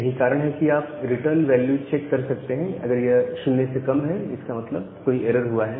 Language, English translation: Hindi, So, that is why you can check the return value if it is less than 0; that means certain error has occurred